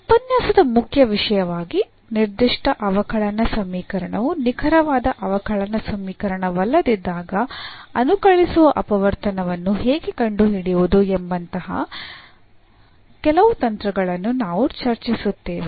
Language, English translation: Kannada, So, here the main topic of this lecture is we will discuss some techniques here how to find integrating factor when a given differential equation is not exact differential equation